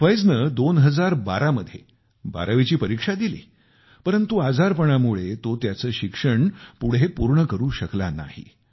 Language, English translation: Marathi, Fiaz passed the 12thclass examination in 2012, but due to an illness, he could not continue his studies